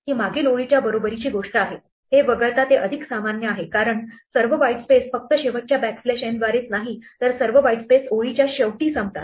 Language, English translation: Marathi, This is an equivalent thing to the previous line except it is more general because strips all the white space not just by the last backslash n, but all the white spaces end of the line